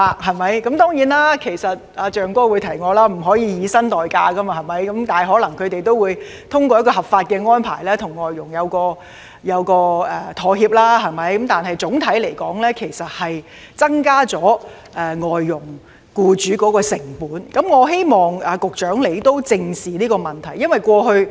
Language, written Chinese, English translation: Cantonese, 當然，"象哥"已提醒我不可以以薪代假，但他們可能會通過合法的安排與外傭協商，但總體而言會增加外傭僱主的成本，我希望局長正視這問題。, Of course Brother Elephant has reminded me that employers are forbidden to make payment in lieu of holidays . Nevertheless they may negotiate with their FDHs for some legal arrangements . Overall speaking the alignment will increase the costs of FDH employers and I hope that the Secretary will look squarely into this issue